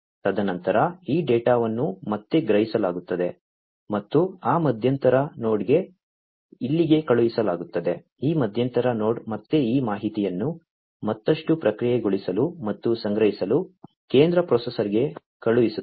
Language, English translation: Kannada, And then this data again is sensed is sensed and is sent over here to that intermediate node, this intermediate node again sends it to the central processor for further processing and storage this information